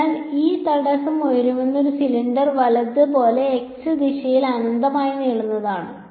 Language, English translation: Malayalam, So, this obstacle is infinitely long in the z direction like a tall cylinder right